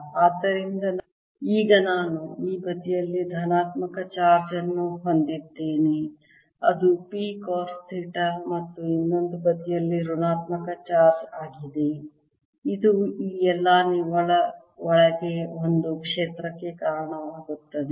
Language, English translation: Kannada, so now i have this positive charge on this side, which is p cos theta, and corresponding negative charge on the other side, and this gives rise to a field inside this all net